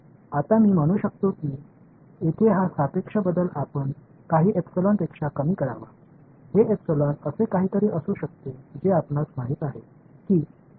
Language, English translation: Marathi, Now I can say that this relative change over here should be less than let us say some epsilon; this epsilon can be something like you know you know 0